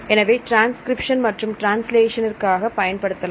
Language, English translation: Tamil, Now we have the transcription and the translation